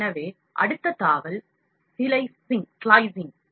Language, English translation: Tamil, So, next tab is slicing